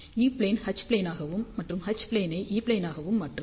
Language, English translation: Tamil, So, again whatever is E plane, it will become H plane; and H plane will become E plane